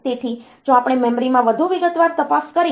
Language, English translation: Gujarati, So, if we look into the memory in more detail